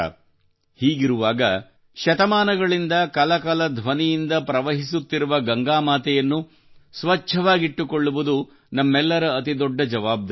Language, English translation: Kannada, Amid that, it is a big responsibility of all of us to keep clean Mother Ganges that has been flowing for centuries